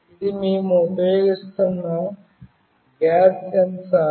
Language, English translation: Telugu, This is the gas sensor that we will be using